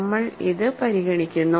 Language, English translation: Malayalam, So, for that we consider this